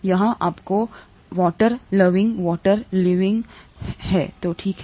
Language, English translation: Hindi, Here you have water loving water loving so that’s okay